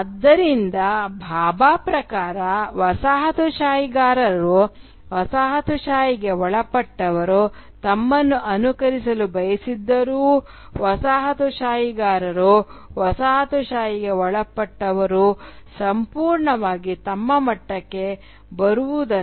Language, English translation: Kannada, So, according to Bhabha, though the coloniser wants the colonised to mimic him, to imitate him, he never really expects the latter to catch up